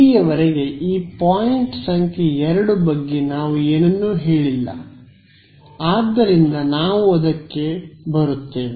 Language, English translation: Kannada, So, far we have not said anything about this point number 2 ok, so, we will come to it